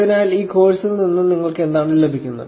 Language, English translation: Malayalam, So, what do you get out of this course